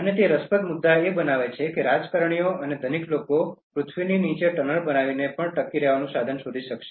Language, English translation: Gujarati, And the interesting point that it makes is that, the politicians and the rich will find means to survive even by making tunnels under the earth